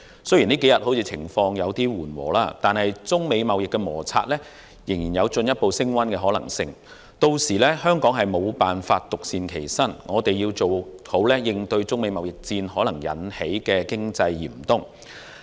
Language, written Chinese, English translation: Cantonese, 雖然相關情況這數天稍為緩和，惟中美貿易摩擦仍有可能進一步升溫，香港屆時定必無法獨善其身，必須做好準備應對中美貿易戰可能引致的經濟嚴冬。, Although the situation has eased somewhat in these few days the trade conflict may escalate . As Hong Kong cannot be spared in this conflict we must prepare for the bleak and chilly winter of an economic downturn likely to be caused by the trade war between China and the United States